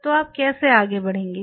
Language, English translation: Hindi, So, how you will proceed